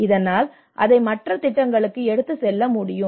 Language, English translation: Tamil, So that it can take out to other projects you know